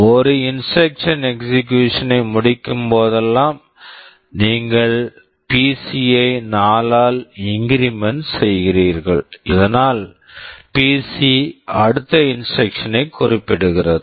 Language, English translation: Tamil, Whenever one instruction finishes execution, you increment PC by 4, so that PC will point to the next instruction